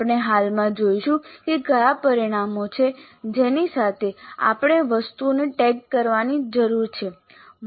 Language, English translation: Gujarati, We will presently see what are the parameters with which we need to tag the items